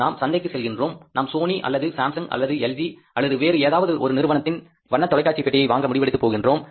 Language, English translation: Tamil, We go to the market, we want to buy a color TV of Sony or maybe Samsung, LG or any other company